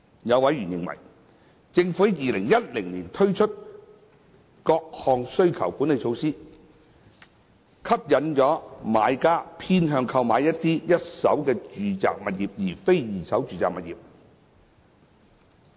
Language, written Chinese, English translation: Cantonese, 有委員認為，政府自2010年起推出的各項需求管理措施，吸引買家偏向購買一手住宅物業而非二手住宅物業。, Some members are of the view that various demand - side management measures rolled out since 2010 attract buyers to acquire first - hand residential properties instead of second - hand residential properties